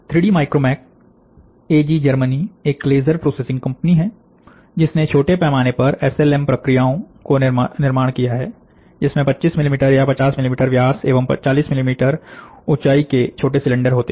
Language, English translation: Hindi, 3D Micromac AG, Germany, is the, is a laser processing company which has developed small, small scale SLM processes with small built cylinders of 25 millimetre and 50 millimetre in diameter and a height of 40 millimetre in height